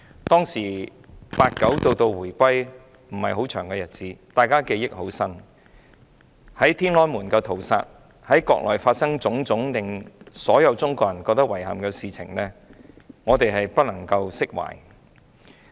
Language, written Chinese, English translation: Cantonese, 對於在天安門廣場發生的屠殺事件，以及在國內發生的種種令所有中國人感到遺憾的事情，我們無法釋懷。, We could not dispel our anxiety over the massacre on the Tiananmen Square and all the incidents in the Mainland that saddened Chinese people